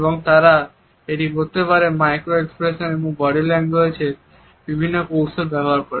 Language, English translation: Bengali, It is an analysis of micro expressions and body language